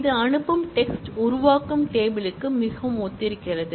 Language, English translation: Tamil, It is the send text, is very similar to the create table